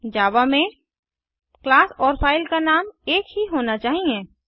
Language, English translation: Hindi, In Java, the name of the class and the file name should be same